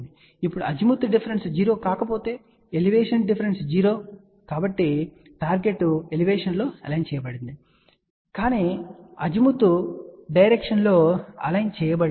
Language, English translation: Telugu, Now if Azimuth difference is not zero, Elevation difference is 0 so; that means, target is aligned in the elevation, but it is not aligned in the Azimuth direction